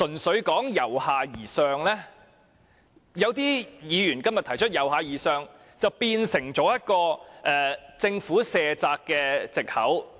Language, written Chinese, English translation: Cantonese, 所以，正如有些議員今天提出，"由下而上"變成政府卸責的藉口。, As some Members have remarked today the bottom - up approach has been used by the Government as an excuse to shirk responsibilities